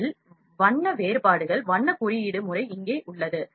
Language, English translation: Tamil, So, this is the color difference color coding is here